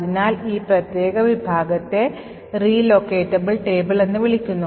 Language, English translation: Malayalam, So, this particular section is known as the Relocatable Table